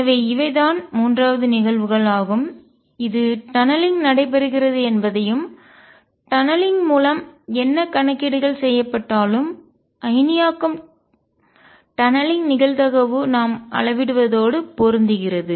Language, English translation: Tamil, So, these are 3 phenomena with that show you that tunneling does take place and whatever calculations are done through tunneling ionization tunneling probability does match whatever we measure